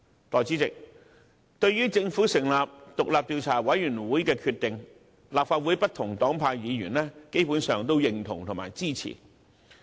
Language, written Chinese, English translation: Cantonese, 代理主席，對於政府成立獨立調查委員會的決定，立法會內不同黨派的議員基本上予以認同和支持。, Deputy President with regard to the decision of the Government to set up an independent Commission of Inquiry Legislative Council Members belonging to different political parties and groupings have basically expressed their endorsement and support